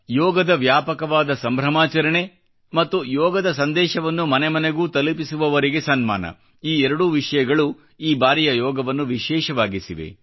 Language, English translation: Kannada, The widespread celebration of Yoga and honouring those missionaries taking Yoga to the doorsteps of the common folk made this Yoga day special